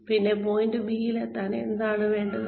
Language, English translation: Malayalam, And, what do we need in order to get to point B